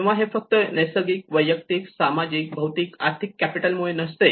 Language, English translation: Marathi, So it is not just only because of this natural, human, social and physical and financial capital